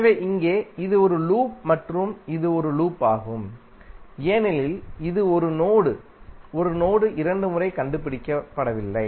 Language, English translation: Tamil, So here, this is a loop and this is also a loop because it is not tracing 1 node 1 node 2 times